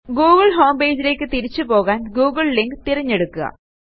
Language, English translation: Malayalam, Choose the google link to be directed back to the google homepage